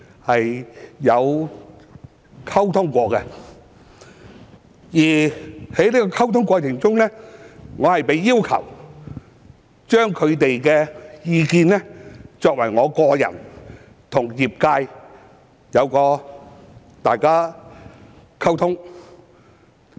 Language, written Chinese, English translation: Cantonese, 在溝通過程中，我被要求把他們的意見，透過我個人跟業界溝通。, In the course of communication I was asked to convey their views to the industry personally